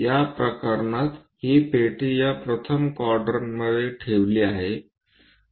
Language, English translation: Marathi, In this case this block is placed in this first quadrant